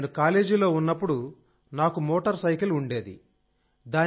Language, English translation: Telugu, Sir, I had a motorcycle when I was in college